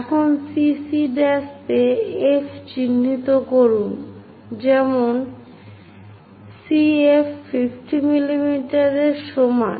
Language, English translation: Bengali, Now, mark F on CC prime such that CF is equal to 50 mm